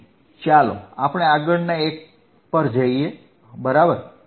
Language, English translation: Gujarati, So, let us go to the next one right